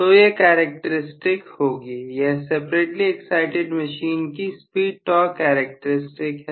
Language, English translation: Hindi, So this is going to be the characteristics, as far as the speed torque characteristics are concerned for a separately excited machines